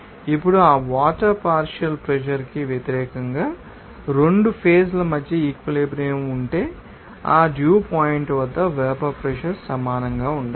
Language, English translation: Telugu, Now, if the equilibrium between the 2 phases against the partial pressure of that water must be equal to the vapor pressure at that dew point